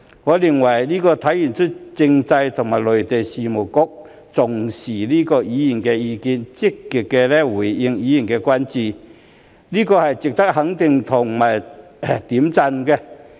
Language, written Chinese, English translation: Cantonese, 我認為這體現了政制及內地事務局重視議員的意見、積極回應議員的關注，這是值得肯定和點讚的。, I think this reflects that the Constitutional and Mainland Affairs Bureau values Members opinions and responds to their concerns actively which is worthy of recognition and commendation